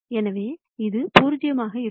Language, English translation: Tamil, So, this is going to be 0